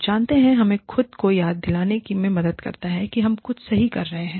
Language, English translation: Hindi, You know, that helps us remind ourselves, that we are doing, something right